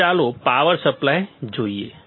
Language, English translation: Gujarati, Now, let us see power supply